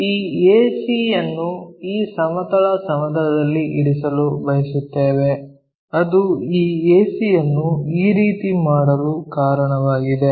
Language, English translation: Kannada, We want to keep this ac resting on this horizontal plane that is a reason we made this ac in this way